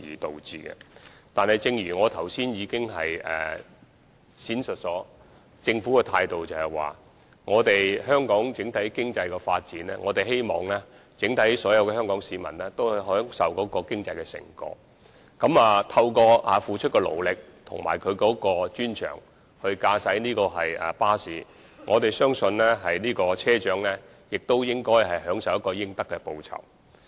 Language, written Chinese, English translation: Cantonese, 但是，正如我剛才闡述，政府的態度是，對於香港整體經濟的發展，我們希望所有香港市民均能享受經濟成果，而我們相信車長付出的勞力和駕駛巴士的專長，亦應享有應得的報酬。, But as I explained earlier on it is the Governments attitude that all the people of Hong Kong should be able to enjoy the fruits of the overall economic development of Hong Kong and we believe the hard work of bus captains and their expertise in bus driving should be duly rewarded